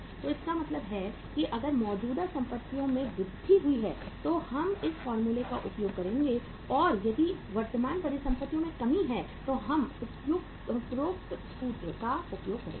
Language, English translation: Hindi, So it means if there is a increase in the current assets we will use this formula and if there is a decrease in the current assets we will use the above formula